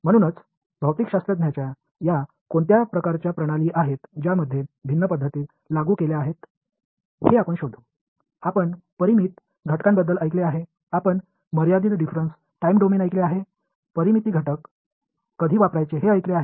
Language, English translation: Marathi, So, we will find out what are these different kinds of regimes of physics in which different methods get applied; you heard of finite element, you heard of a finite difference time domain, finite element, when should use which